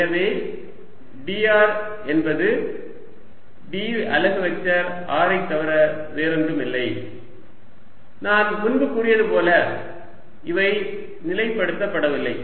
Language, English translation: Tamil, r is going to be nothing but d of r unit vector r, and i said earlier, these are not fix